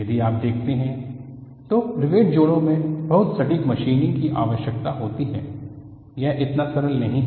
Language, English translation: Hindi, See, if you look at, riveted joints are very precise; machining is required; it is not so simple